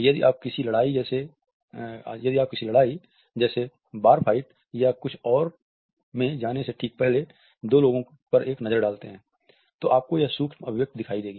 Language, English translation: Hindi, If you take a look at two people right before they enter a fight, like a bar fight or something, you will see this micro expression